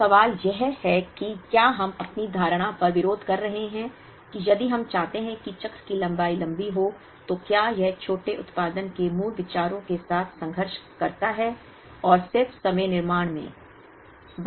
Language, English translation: Hindi, So, the question is are we conflicting on our assumption, that if we want the cycle length to be long, then does it conflict with the basic ideas of shorter production runs, and just in time manufacturing